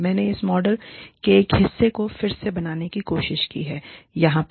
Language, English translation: Hindi, I have just tried to recreate, a part of this model, over here